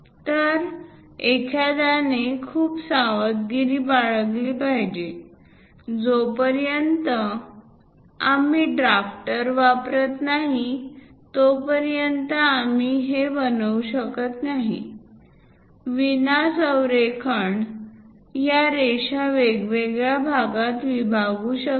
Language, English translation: Marathi, So, one has to be very careful; unless we use drafter, we cannot really construct this; non alignment may divide these line into different parts